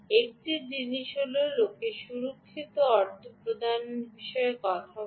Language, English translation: Bengali, ok, one thing is, people talk about secure payments